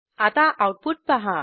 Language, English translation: Marathi, Now Look at the output